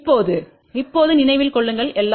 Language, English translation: Tamil, Now, remember right now everything is in y ok